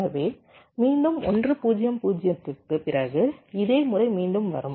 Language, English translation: Tamil, so again, after one, zero, zero, this same pattern will come again